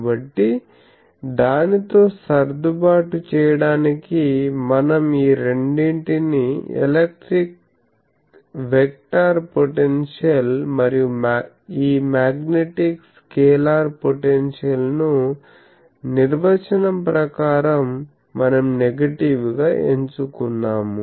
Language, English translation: Telugu, So, to adjust with that we are taking both these electric vector potential and this magnetic scalar potential, we are choosing by definition negative